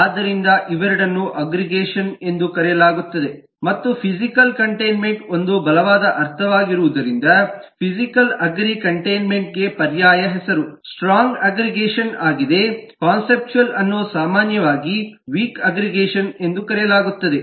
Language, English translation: Kannada, so both of these are known as aggregation and since physical containment is a is a stronger sense, so an alternate name for physical agree containment is strong aggregation and the conceptual one is more commonly referred to as weak aggregation